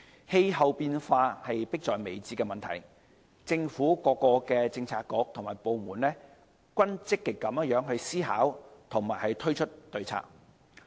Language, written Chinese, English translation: Cantonese, 氣候變化是迫在眉睫的問題，政府各政策局和部門均積極思考和推出對策。, Climate changes have become an imminent issue . Various government bureaux and departments are putting their heads together actively looking for and rolling out solutions